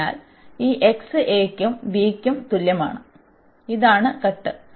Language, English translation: Malayalam, So, at this from x is equal to a to this x is equal to b, this is the cut